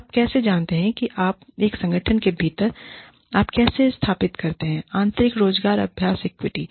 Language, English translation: Hindi, How do you, you know, within an organization, how do you establish, internal employment practice equity